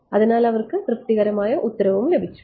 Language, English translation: Malayalam, So, they got a satisfactory answer